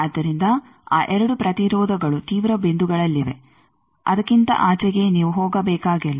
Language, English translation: Kannada, So, those 2 resistances at the extreme points beyond which you can need not go